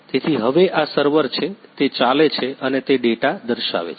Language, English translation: Gujarati, So, now this is the server, it is running and it is showing the data